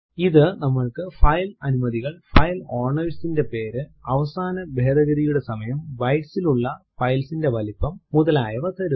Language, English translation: Malayalam, It gives us the file permissions, file owners name, last modification time,file size in bytes etc